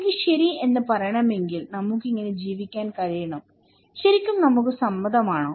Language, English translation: Malayalam, If I want to say okay, we can live like this, really we agree